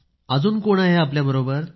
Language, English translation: Marathi, Who else is there with you